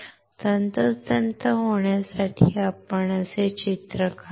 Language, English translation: Marathi, To be precise let us draw like this